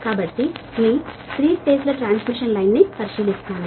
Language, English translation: Telugu, so will consider your three phase transmission line right